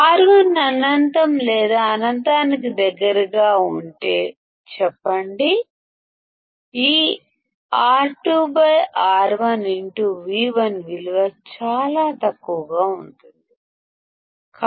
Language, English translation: Telugu, Let us say if R1 is infinite or close to infinity; this R2 by R1 into Vi value will be extremely small